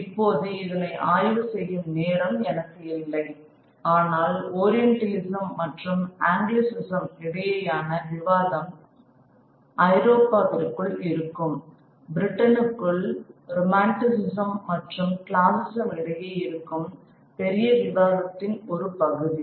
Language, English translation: Tamil, Now, I do not have the occasion here to actually explore this, but this debate between Orientalism and Anglicism is part of a larger debate within Europe, within Britain, between romanticism and classicism